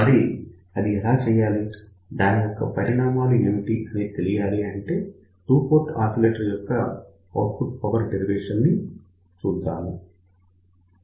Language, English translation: Telugu, So, how we do that, what is the effect of that; so let us look at the derivation of output power of two port oscillator